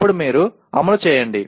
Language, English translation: Telugu, Then you execute